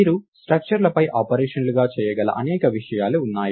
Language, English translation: Telugu, There are several things that you can do as operations on structures